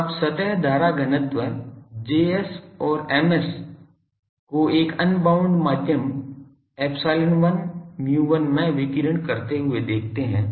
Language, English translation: Hindi, So, you see the surface current densities Js and Ms radiate in an unbounded medium epsilon and omega, epsilon 1 omega mu 1